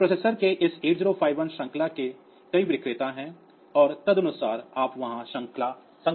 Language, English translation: Hindi, So, this way there are many vendors of this 8 0 5 1 series of processors and accordingly you can find out the you can you can see the series number there